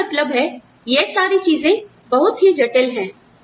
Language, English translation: Hindi, So, I mean, all of these things, are very complex